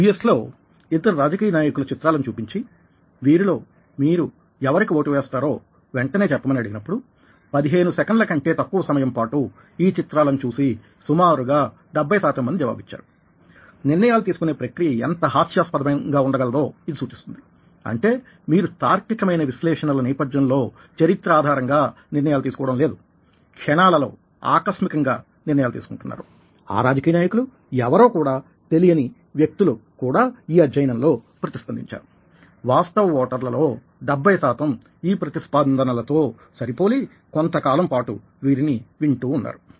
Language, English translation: Telugu, certain studies ah were done ah using ah popular political figures, two images being shown in the u s and people being asked quickly who would you vote to, and it was found that people who looked at the these images for just less than fifteen seconds and responded ah in many cases almost seventy percent cases these are the people who are the votes, which suggests that some kind of a heuristic decision making process is actual under way, which means that you are not deciding on the basis of logical analysis or the background or the history, because the impulsive decision or people who dint, who know this people and just responded, matched seventy percent of the time with actual voters who have been listening to these people over a period of time